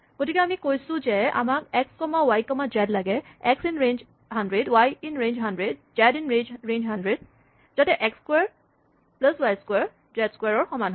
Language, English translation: Assamese, So, we say, I want x comma y comma z, for x in range 100, for y in range 100, for z in range 100, provided, x squared plus y squared is equal to z squared